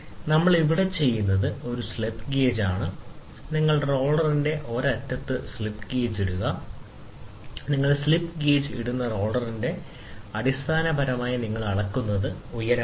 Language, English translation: Malayalam, So, what we do is here is a slip gauge, ok, here is a slip gauge, so you put the slip gauge you put the slip gauge at one end of the roller one end of the roller you put the slip gauge, so basically what you do is you keep and height